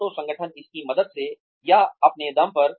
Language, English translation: Hindi, Either with the help of this, the organization, or on their own